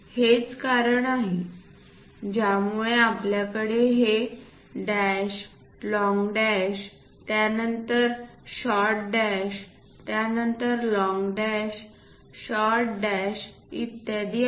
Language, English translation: Marathi, That is the reason, we have these dash, long dash, followed by short dash, followed by long dash, short dash and so on